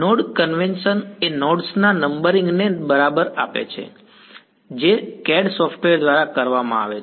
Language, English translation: Gujarati, The node convention right the numbering of the nodes which is done by the CAD software